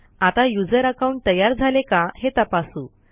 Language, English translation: Marathi, Let us now check, if the user account has been created